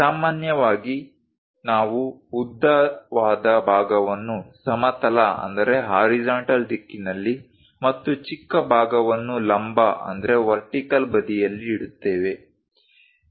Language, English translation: Kannada, Usually, we keep a longer side in the horizontal direction and the vertical shorter side